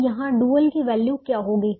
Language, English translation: Hindi, now what is the value of the dual here